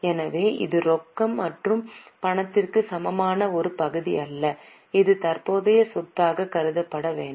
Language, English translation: Tamil, So, it is not a part of cash and cash equivalent, it should be treated as a current asset